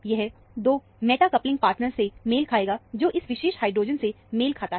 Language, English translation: Hindi, This would correspond to 2 meta coupling partners, corresponding to this particular hydrogen